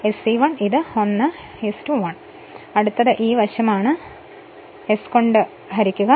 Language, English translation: Malayalam, Now next is next is this this right hand side you divide this thing by s